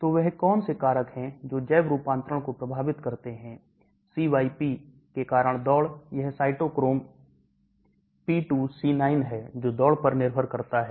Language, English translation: Hindi, So what are the factors that affect biotransformation, race because CYP, that is cytochrome P2C9 depends upon the race